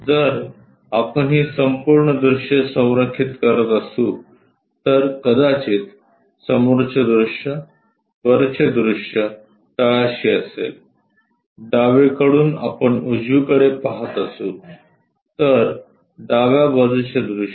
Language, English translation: Marathi, If we are aligning these entire views, perhaps front view, top view at bottom, from left direction we are seeing towards right direction so left side view